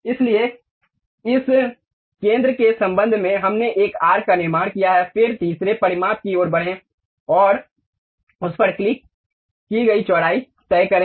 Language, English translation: Hindi, So, with respect to this center, we have constructed an arc, then move to third dimension to decide the width moved and clicked it